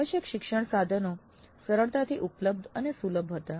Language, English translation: Gujarati, So the required learning resources were easily available and accessible